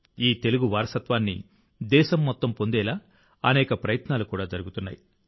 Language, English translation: Telugu, Many efforts are also being made to ensure that the whole country gets the benefit of this heritage of Telugu